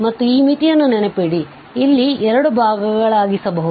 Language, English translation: Kannada, And remember that this limit, we can break into 2 parts here